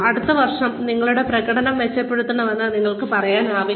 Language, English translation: Malayalam, you cannot say, you should better your performance, next year